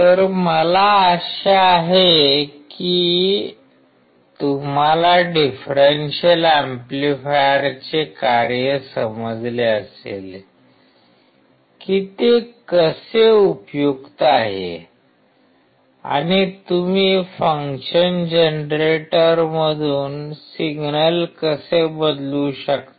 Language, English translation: Marathi, So, I hope that you understood the function of the differential amplifier and how it is useful and how you can change the signal from the function generator